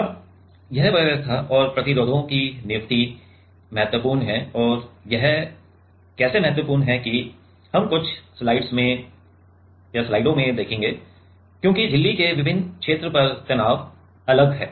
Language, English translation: Hindi, Now, this arrangement and the placement of resistors are important and how these are important that we will come in few slides because the stress is at different region of membrane is different ok